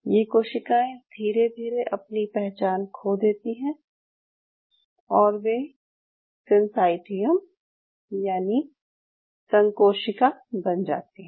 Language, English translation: Hindi, These cells slowly lose their identity and they become what we call as synchium